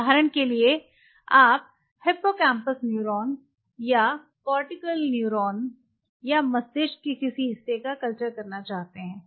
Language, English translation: Hindi, So, for example, you want culture they have hippocampal neuron or cortical neuron or any part of the brain